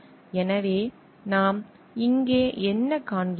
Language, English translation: Tamil, So, what we find over here